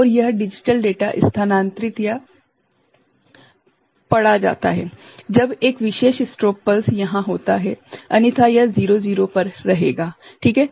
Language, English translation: Hindi, And, this digital data is shifted or read, when a particular strobe pulse is there otherwise it will remain at 0 0 ok